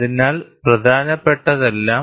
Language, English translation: Malayalam, So, all that matters